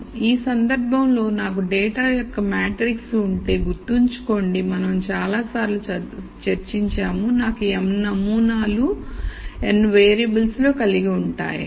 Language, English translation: Telugu, So, in this case remember if I have a matrix of data this we have discussed several times let us say I have m samples in n variables